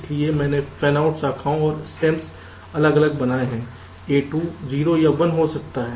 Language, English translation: Hindi, so i have made the fanout branches and stems separate: a, two can be zero or one